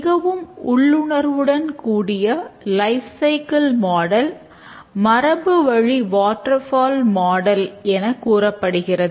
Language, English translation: Tamil, The most intuitive lifecycle model is called as the classical waterfall model